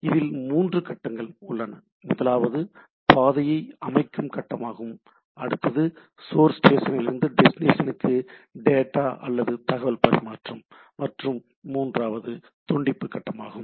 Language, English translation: Tamil, There are three phases; first one is a path establishment phase, then next is the transfer of data or information form the source station to destination and the third one is the disconnection phase